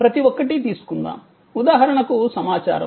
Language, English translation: Telugu, Let us take each one, like for example information